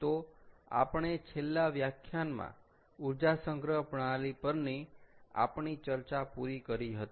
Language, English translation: Gujarati, so in the last lecture, what we did was we kind of wrapped up our discussion on energy storage systems